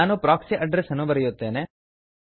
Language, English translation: Kannada, I will enter proxy port number